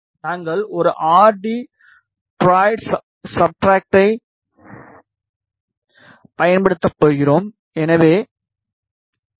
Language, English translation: Tamil, We are going to use an rt duroid substrate so 2